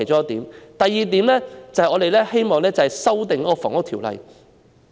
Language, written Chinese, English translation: Cantonese, 第二，我們希望修訂《房屋條例》。, Second we look forward to an amendment of the Housing Ordinance